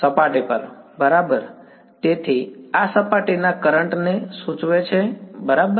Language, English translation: Gujarati, surface right; so, this implies surface currents right